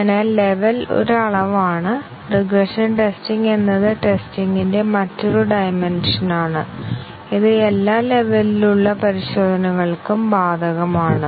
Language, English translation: Malayalam, So, level is one dimension and regression testing is a different dimension of testing and it is applicable to all levels of testing